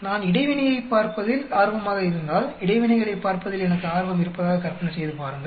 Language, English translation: Tamil, If I am interested in looking at interaction, imagine I am interested in looking at interactions